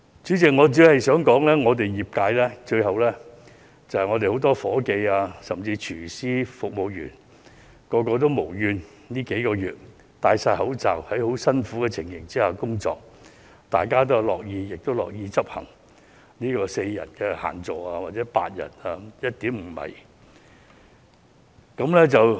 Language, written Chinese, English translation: Cantonese, 主席，我只是想說，業界僱用很多夥計，甚至廚師、服務員，他們這數個月以來全部無怨無悔地佩戴着口罩、在很辛苦的情況下工作；大家均樂意執行限座4人或8人、以及每張餐桌距離 1.5 米的規定。, President I just want to say that the industry hires many people including even chefs and waiting attendants . Over the past few months they have been working with masks on under testing circumstances without grudge or complaint . All are willing to enforce the limit of four or eight people and the requirement for tables to be 1.5 m apart